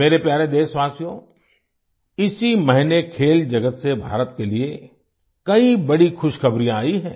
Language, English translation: Hindi, My dear countrymen, this month many a great news has come in for India from the sports world